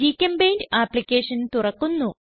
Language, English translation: Malayalam, GChemPaint application opens